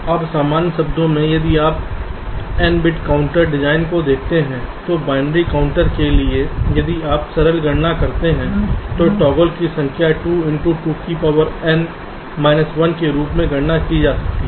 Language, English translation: Hindi, now, in general terms, if you look at an n bit counter design for a binary counter, if you make a simple calculation, the number of toggles can be calculated as two into two to the power n minus one